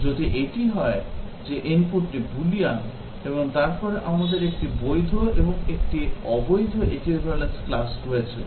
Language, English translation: Bengali, If it is, input is a Boolean, and then we have 1 valid and 1 invalid equivalence class